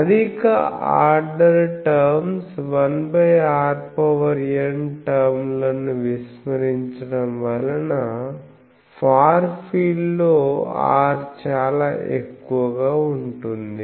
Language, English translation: Telugu, Neglecting the higher order terms of 1 by r n because in the far field r is very high